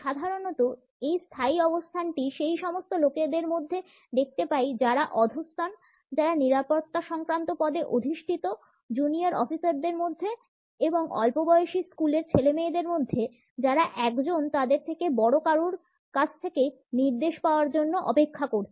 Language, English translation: Bengali, Normally, we come across this standing position in those people who are subordinate, who hold a security related position, amongst junior officers, young school children who are waiting to receive a direction from a senior person